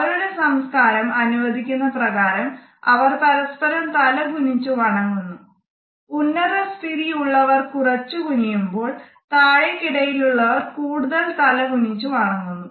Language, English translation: Malayalam, Their culture allows them to bow to each other, and the person with the higher status bows the least and the one with the least status bows the most